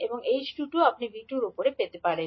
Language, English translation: Bengali, And h22 you will get as I2 upon V2